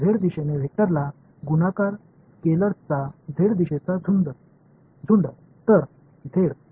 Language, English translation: Marathi, Z direction bunch of scalars multiplying a vector in the z direction, so z